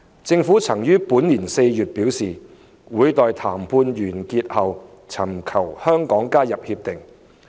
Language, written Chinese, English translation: Cantonese, 政府曾於本年4月表示，會待談判完成後尋求香港加入《協定》。, The Government indicated in April this year that it would seek Hong Kongs accession to RCEP after the negotiations had been completed